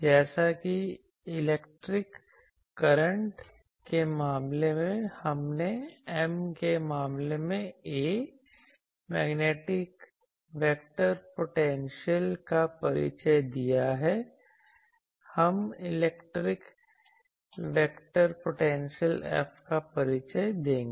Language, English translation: Hindi, As in case of electric current, we introduced A the magnetic vector potential in case of M, will introduce the electric vector potential F; that is why I am saying